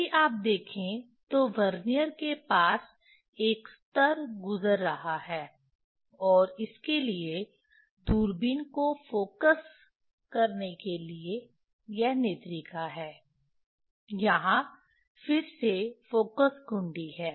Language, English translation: Hindi, If you Vernier there is a level passing, and this for other this focusing for the telescope is this eye piece here again focusing knob is there